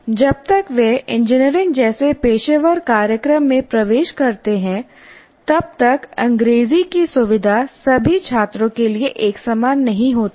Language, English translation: Hindi, Whatever you say, by the time they enter a professional program like engineering, the facility with English is not uniform for all students